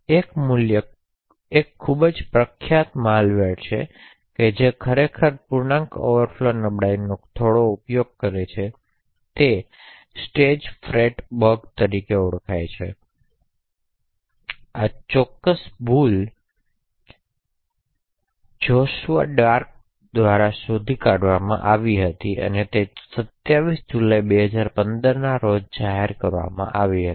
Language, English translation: Gujarati, One quite famous malware which actually uses integer overflow vulnerabilities quite a bit was known as the Stagefright bug, so this particular bug was discovered by Joshua Drake and was disclosed on July 27th, 2015